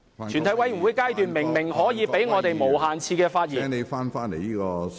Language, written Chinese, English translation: Cantonese, 全體委員會階段明明容許我們無限次發言......, We are allowed to speak for unlimited times during the committee stage